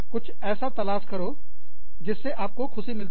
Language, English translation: Hindi, Find something, to feel happy about